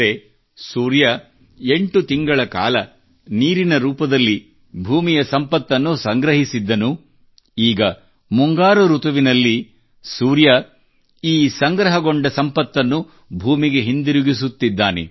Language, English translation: Kannada, That is, the Sun has exploited the earth's wealth in the form of water for eight months, now in the monsoon season, the Sun is returning this accumulated wealth to the earth